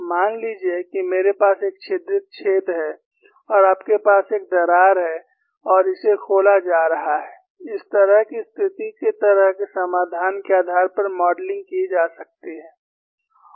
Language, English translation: Hindi, Suppose I have a riveted hole, and you have a crack form and it is getting opened, that kind of a situation could be modeled, based on a solution like this